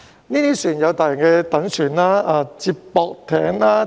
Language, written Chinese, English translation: Cantonese, 這些船隻有大型躉船、接駁艇等。, These vessels include large barges feeders and so on